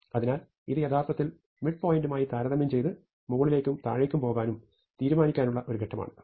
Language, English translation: Malayalam, So, this one is actually a constant number of steps to compare with the midpoint and decide to go up, down and all that